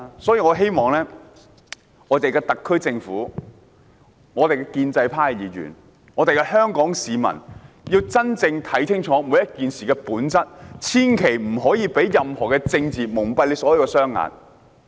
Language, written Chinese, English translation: Cantonese, 所以，我希望特區政府、建制派議員和香港市民要認真看清楚每件事的本質，千萬不能被政治蒙蔽雙眼。, Hence I hope the Government pro - establishment Members and Hong Kong people will see clearly the truth of the matter and avoid being blinded by politics